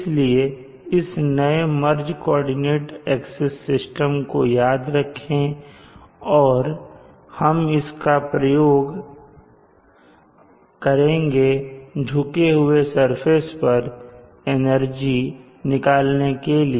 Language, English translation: Hindi, So remember this modified merged coordinate axis system and we will be using this to develop the equation for the energy falling on a tilted surface